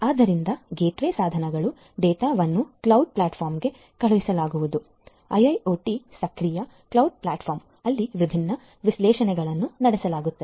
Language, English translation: Kannada, So, gateway devices, the data are going to be sent to the cloud platform; IoT enabled cloud platform where you know different analytics will be performed; analytics will be performed